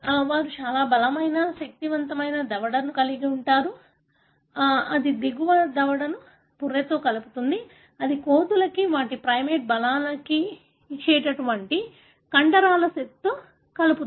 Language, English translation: Telugu, Because they have very strong, powerful jaw and for the jaw to function, it connects the lower jaw with the skull, with the set of muscles which gives the ape, their primates the strength